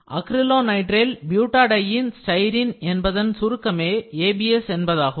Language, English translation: Tamil, So, this is acrylonitrile butadiene styrene that is ABS